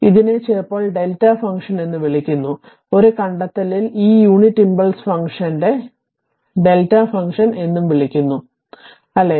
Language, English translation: Malayalam, So, it is also known sometimes we call as a delta function, in it in a book you will find this unit impulse function also is termed as delta function, right